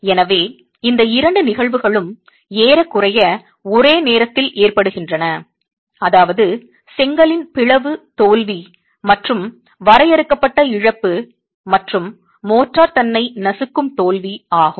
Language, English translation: Tamil, So there is almost a simultaneous occurrence of these two phenomena which is the splitting failure in the brick and the loss of confinement and crushing failure of the motor itself